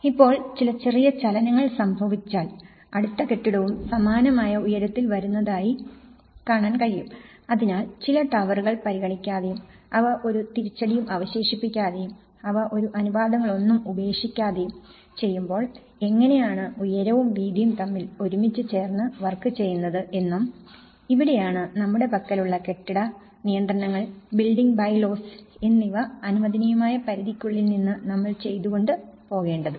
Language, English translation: Malayalam, If some slight movement happens now, you can see that the next building is also coming on the similar heights so now, when certain towers are not considering and they are not leaving any setbacks and they are not leaving out any proportions you know how the proportions with the height and breadth has to work and this is where despite of the building regulations on what we have, the building bylaws, the permissible limits yes, he is going within that permissible limit